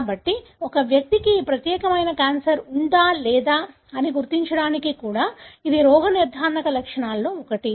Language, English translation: Telugu, So, this is one of the diagnostic features even to identify whether a person is having this particular cancer or not